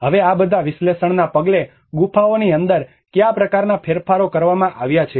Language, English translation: Gujarati, Now, inside the caves following all these analysis what kind of modifications has been done